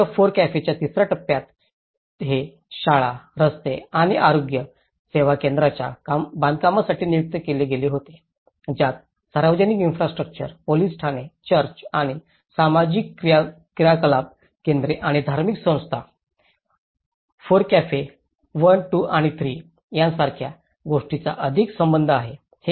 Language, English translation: Marathi, And, in the last FORECAFE third stage it was designated for construction of schools, roads and health care centres, which has more to do with the public infrastructure, police stations, religious infrastructure like churches and social activity centres and FORECAFE 1, 2 and 3 together it talks about 66 crores rupees